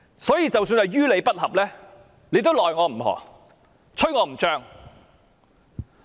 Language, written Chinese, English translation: Cantonese, 所以，即使是於理不合，大家也無可奈何。, Therefore even if it is unreasonable we can do nothing about it